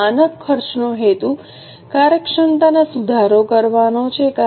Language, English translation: Gujarati, Now, the purpose of standard costing is to improve efficiency